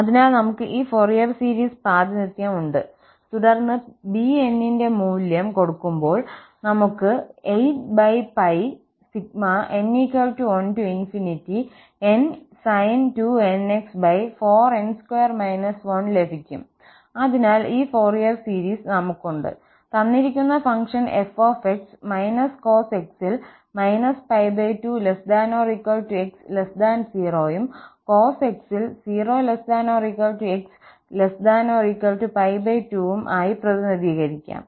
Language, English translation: Malayalam, So, we have this Fourier series representation and then substituting this value of bn as 8 over pi and then we have n sin 2nx over 4 n square minus 1, so we have this Fourier series, which somehow should represent the given function f as minus cos x in the range minus pi by 2 to 0, and then cos x, in 0 to pi by 2